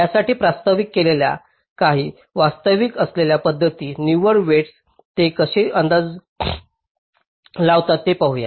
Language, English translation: Marathi, lets look at some of the existing methods which have been proposed for this net weighting, how they how they make the estimates